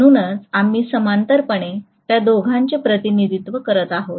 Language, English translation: Marathi, So that is the reason why we are essentially representing both of them in parallel